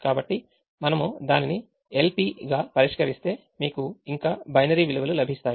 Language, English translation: Telugu, so if we solve it as a l p, you will get still get binary values